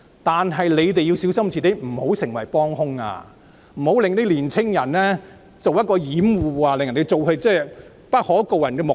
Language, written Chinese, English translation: Cantonese, 但請大家小心，不要成為幫兇，更不要以年青人作掩護，以達致不可告人的目的。, That said we should be cautious about not becoming accomplices still less using young people as cover to serve some ulterior purposes